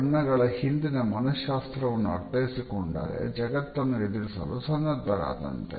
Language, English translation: Kannada, Once you understand the psychology behind colors, you will be better equipped to take on the world